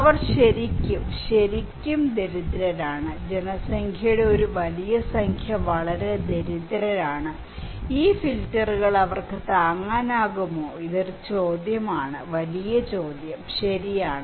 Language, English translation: Malayalam, They are really, really, really poor, a large number of populations are very poor, can they afford to have these filters this is a question; the big question, right